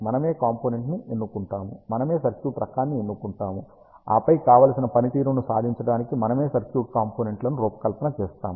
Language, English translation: Telugu, We select the device, we select the type of the circuit, and then we design the individual circuit components to achieve the desired performance